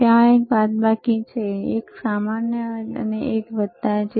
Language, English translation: Gujarati, tThere is a minus, a there is a common and there is a plus